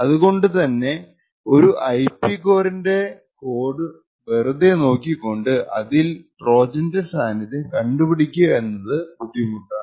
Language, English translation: Malayalam, So, therefore just by actually looking at the code of a particular IP, it is very difficult to actually detect the presence of a hardware Trojan